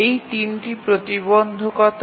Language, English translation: Bengali, So these are the three constraints